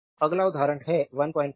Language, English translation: Hindi, So, next is example is say 1